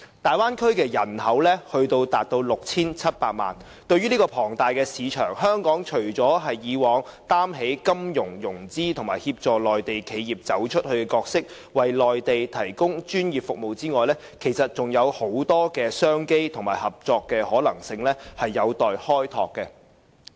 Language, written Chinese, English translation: Cantonese, 大灣區人口達 6,700 萬，對於這個龐大市場，香港除了像以往擔起金融、融資和協助內地企業"走出去"的角色，為內地提供專業服務外，其實還有很多商機和合作的可能性有待開拓。, The population in the Bay Area stands at 67 million . In this huge market Hong Kong can actually open up many more business opportunities and possibilities of cooperation in addition to providing professional financial and financing services to the Mainland and assisting its enterprises in going global